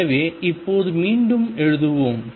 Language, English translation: Tamil, So, let us now write again